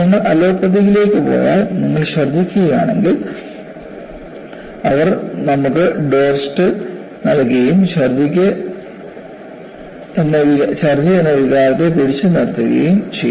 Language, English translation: Malayalam, See, if you go to allopathy, if you are vomiting, they would give you Domstal and arrest your sensation for vomiting